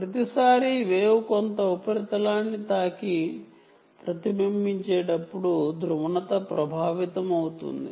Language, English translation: Telugu, polarization can be affected every time the wave hits some surface and gets reflected